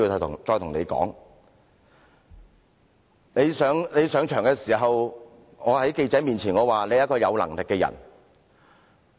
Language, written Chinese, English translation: Cantonese, 當他上場時，我在記者面前說他是一個有能力的人。, When he took office I described him as a competent person in front of the media